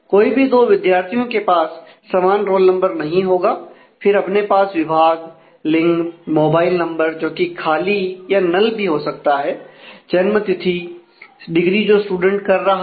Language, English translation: Hindi, So, knows to students will have the same roll number, then there is department gender mobile number which could be null the; date of birth degree that the student has done is doing